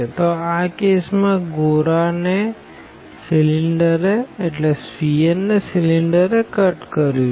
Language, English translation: Gujarati, So, in this case the sphere was cut by the cylinder